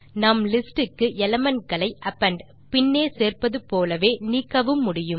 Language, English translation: Tamil, Just like we can append elements to a list, we can also remove them